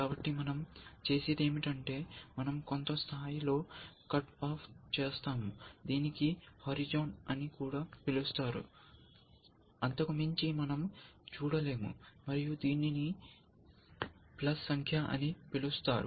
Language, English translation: Telugu, So, what do we do we, cut off at some level, this some people called as a horizon, we cannot see beyond that, and this is called a number of plies